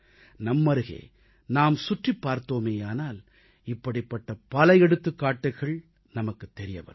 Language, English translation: Tamil, If we look around, we can see many such examples